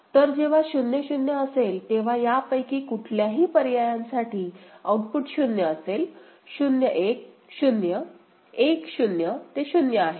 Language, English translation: Marathi, So, when it is at state 0 0 ok, for either of these options the output is 0; 0 1 – 0; 1 0, it is 0